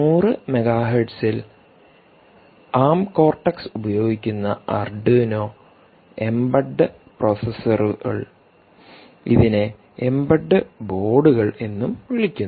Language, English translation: Malayalam, so arduino embed, for instance, which uses arm cortex at hundred megahertz processors, ah, ah, this also called the embed boards ah, which are there